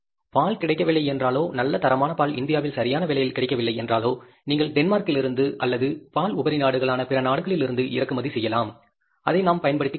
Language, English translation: Tamil, Milk if it is not available in the good quality milk is not available at the competitive prices in India, you can even import from Denmark or maybe from other countries which are the milk surplus countries and we can make use of that